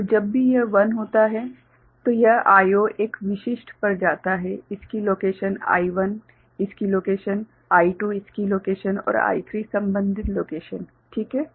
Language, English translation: Hindi, And whenever it is 1 then this I naught goes to a specific its location I1 its location, I2 its location and I3 corresponding location, is it fine